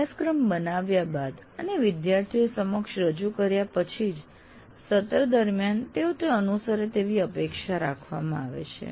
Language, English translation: Gujarati, Only thing after writing the syllabus and presenting to the students during the semester, he is expected to follow that